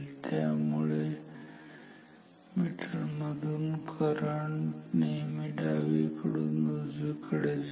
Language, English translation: Marathi, So, current through the meter is always from left to right